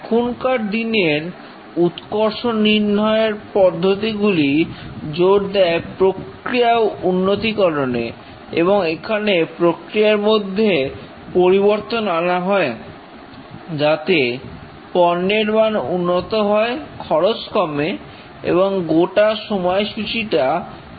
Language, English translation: Bengali, The modern quality systems emphasize on process improvement and here the changes are made to the process to improve the product quality, reduce costs and accelerate the schedules